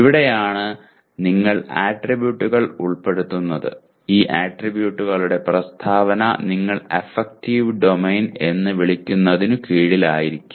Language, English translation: Malayalam, And this is where you are even including attributes, which statement of these attributes may come under what you call as the affective domain as well